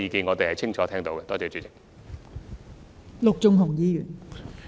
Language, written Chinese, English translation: Cantonese, 我們清楚聽到謝議員的意見。, We have heard Mr TSEs views clearly